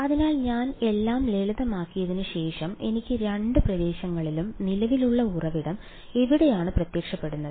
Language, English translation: Malayalam, So, after I simplified everything I had something like in either region and the where did the current source appear